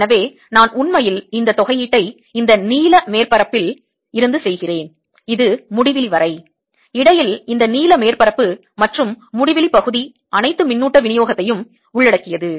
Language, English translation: Tamil, so i am, i am actually doing this integration from this blue surface which to infinity and this blue surface and infinity region in between, includes all the charge distribution